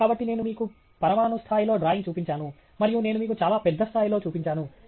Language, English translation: Telugu, So, I have just shown you a drawing at an atomic level and I also shown you something at a much larger scale